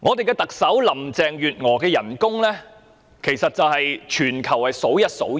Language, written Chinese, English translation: Cantonese, 特首林鄭月娥薪酬之高，在全球堪稱數一數二。, The emoluments of Chief Executive Carrie LAM are so high that she is among the highest paid leaders in the world